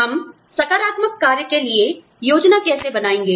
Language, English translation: Hindi, How do we plan for, affirmative action